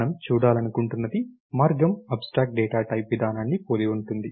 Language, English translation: Telugu, So, the way we would like to look at is an abstract data type is kind of similar to procedure